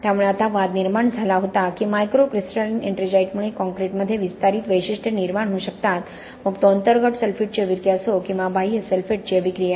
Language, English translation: Marathi, So there was controversy now people are fairly clear that microcrystalline ettringite is what can lead to expansive characteristics in the concrete, whether it is internal sulphate attack or external sulphate attack